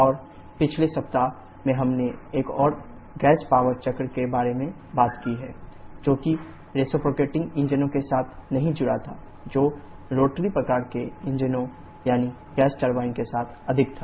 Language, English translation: Hindi, And in the previous week we have talked about another gas power cycle, which was associated not with reciprocating engines was more with rotary type of engines i